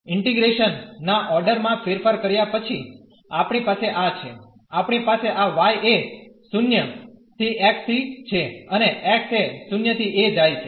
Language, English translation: Gujarati, We have this after changing the order of integration, we have this y goes from 0 to x and x goes from 0 to a